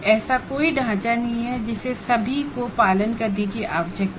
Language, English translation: Hindi, As I said, there is no a framework that needs to be followed by everyone